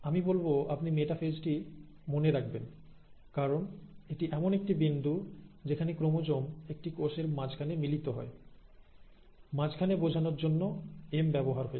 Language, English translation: Bengali, So I would say you remember metaphase as it is a point where the chromosome starts meeting in the middle of a cell, M for middle